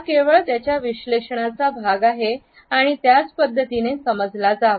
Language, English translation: Marathi, It is a part of his analysis only and has to be perceived in the same manner